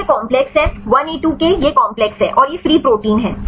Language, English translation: Hindi, So, this is the complex 1A2K this is the complex, and this is the free protein right